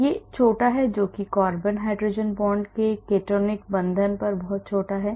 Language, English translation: Hindi, this is got short that is the ketonic bond of course carbon hydrogen bonds are very small